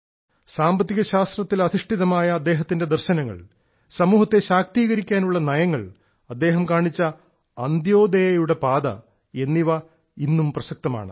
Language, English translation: Malayalam, His economic philosophy, his policies aimed at empowering the society, the path of Antyodaya shown by him remain as relevant in the present context and are also inspirational